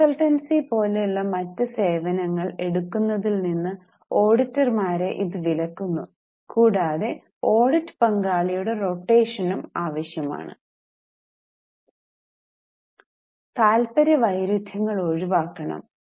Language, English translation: Malayalam, Now it prohibits auditors from taking other services like consultancy and also necessitates rotation of audit partners